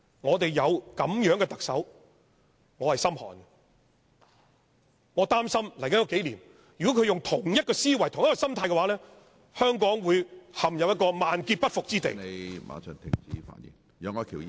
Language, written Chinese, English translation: Cantonese, 我擔心如果在接着數年，她採用同一思維和心態，香港會陷入一個萬劫不復之地......, I worry that if she continues to adopt this mindset and attitude in the next couple of years Hong Kong will be destroyed beyond restoration